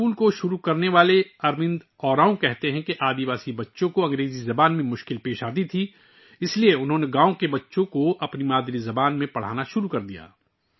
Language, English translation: Urdu, Arvind Oraon, who started this school, says that the tribal children had difficulty in English language, so he started teaching the village children in their mother tongue